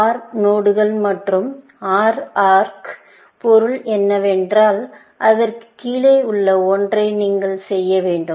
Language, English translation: Tamil, The meaning of an OR node and OR arc is that you have to do one of the things below that